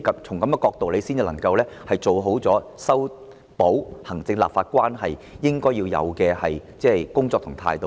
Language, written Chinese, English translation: Cantonese, 從這樣的角度出發，才是做好修補行政立法關係的工作所應有的態度。, Only from this perspective can it foster the appropriate attitude to do a good job in mending the relationship between the executive and the legislature